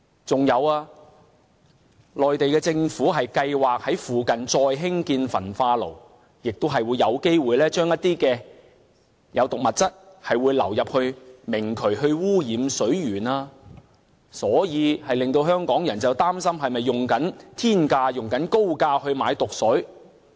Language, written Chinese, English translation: Cantonese, 再者，內地政府計劃在附近再興建焚化爐，亦會有機會將一些有毒物質流入明渠，污染水源，所以令香港人擔心是否以天價和高價購買了毒水。, Moreover as the Mainland Government is planning to build an incinerator in the nearby area toxic substances will possibly be discharged into the open nullah and will contaminate the water sources . For that reason Hong Kong people are concerned if we are paying a high price for some very poisonous water